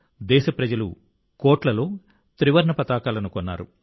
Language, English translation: Telugu, The countrymen purchased tricolors in crores